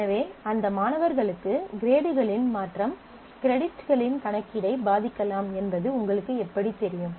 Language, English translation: Tamil, So, how do you know that for those students, the change of the grade may impact the computation of the on credits